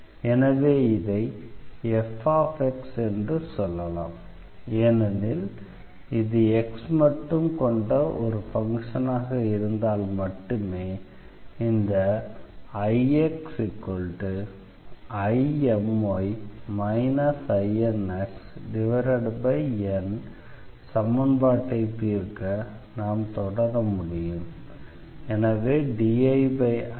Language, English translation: Tamil, So, we say let us this is the function f x because we assume that if this is a function of x alone then only we can proceed for solving this I x is equal to I M y minus I N x over N equation